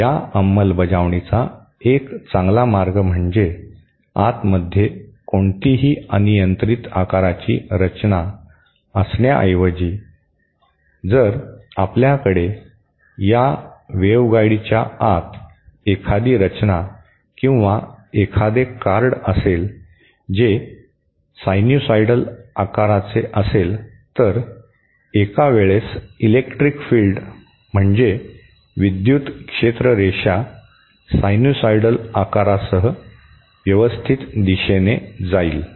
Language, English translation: Marathi, A better way of implementing this is instead of having any arbitrary shaped structure inside, if we have a structure or a card inside this waveguide that a sinusoidal shaped, then the electric field lines at some point of time will be oriented nicely along the sinusoidal shape